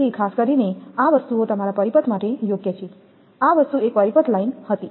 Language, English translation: Gujarati, So, these things are particularly suitable for your circuit this thing was single circuit line